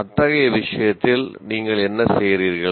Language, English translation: Tamil, In such case, what do you do